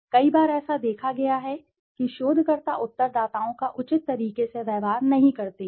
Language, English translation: Hindi, Many a times it has been seen that the researchers do not treat the respondents in a proper manner